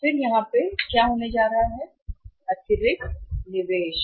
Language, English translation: Hindi, And then what is going to be the and additional investment here